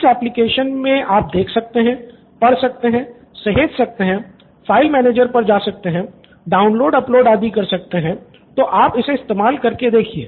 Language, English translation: Hindi, So you can just run through this application, see, read, save, move to file manager, download, upload etc, so just run through it